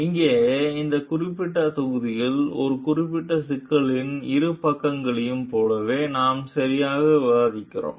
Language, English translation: Tamil, Here, in this particular module, we are exactly discussing like both the sides of a particular problem